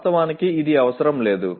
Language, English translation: Telugu, Actually it is not necessary